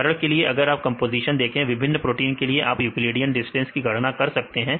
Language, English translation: Hindi, For example if you see composition, you can calculate the a Euclidean distance for the different proteins and see what is a values right